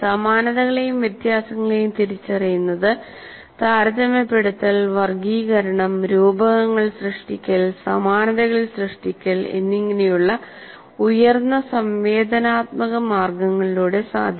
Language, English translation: Malayalam, So identification of similarities and references can be accomplished in a variety of highly interactive ways like comparing, classifying, creating metaphors, creating analogies